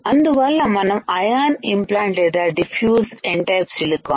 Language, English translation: Telugu, We have to ion implant or diffuse N type silicon